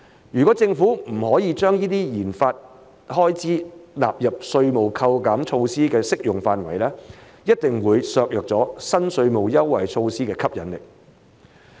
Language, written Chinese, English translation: Cantonese, 如果政府不可將這些研發開支納入稅務扣減措施的適用範圍，一定會削弱新稅務措施的吸引力。, If the Government cannot allow these RD expenditures to be covered by the tax deduction measure the attractiveness of the new tax measure will definitely be diminished